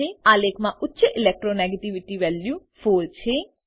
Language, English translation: Gujarati, In the chart, highest Electro negativity value is 4